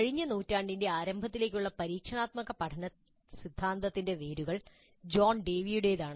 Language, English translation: Malayalam, The roots of experiential learning theory can be traced to John Dewey all the way back to the early part of the last century